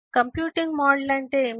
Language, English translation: Telugu, what is a computing model